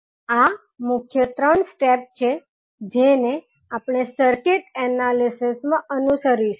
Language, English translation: Gujarati, So, these are the three major steps we will follow when we will do the circuit analysis